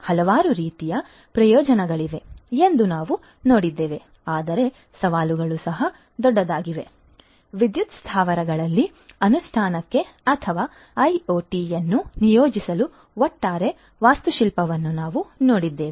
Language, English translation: Kannada, We have seen that there are many many different types of benefits, but the challenges are also huge, we have also looked at the overall architecture for the implementation or the deployment of IoT in the power plants